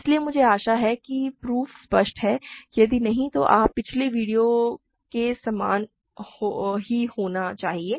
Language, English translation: Hindi, So, I hope the proof is clear, if not you should just the it is fairly similar to the previous videos